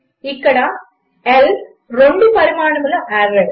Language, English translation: Telugu, L here, is a two dimensional array